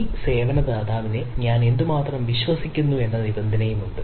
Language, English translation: Malayalam, there is requirement that how much i trust this service provider